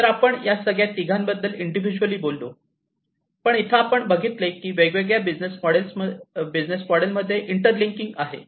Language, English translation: Marathi, So, so all these three we have individually talked about, but as we can see over here we have these inter linking these different business models